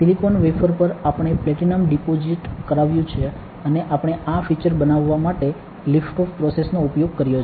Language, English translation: Gujarati, On the silicon wafer, we have deposited platinum and we have used lift off process to make the features